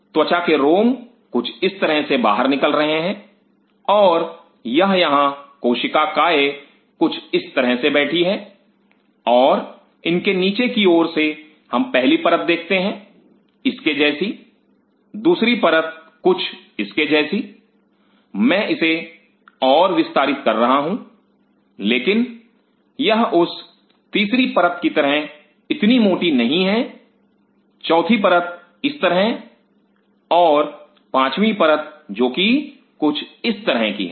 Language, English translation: Hindi, The skin the hairs are coming out like this and this here cell bodies are kind of sitting like this and underneath it we will see first layer like this, second layer like this I am just broadening it up, but is not that thick of layer third layer like this, fourth layer like this and fifth layer which is something like this